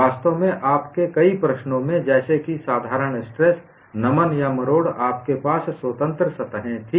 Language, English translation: Hindi, In fact, in many of your problems like simple tension, bending, or torsion, you had free surfaces